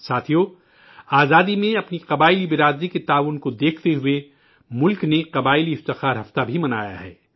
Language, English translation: Urdu, keeping in view the contribution of our tribal communities in attaining Freedom, the country has also celebrated the 'Janajati Gaurav Saptah'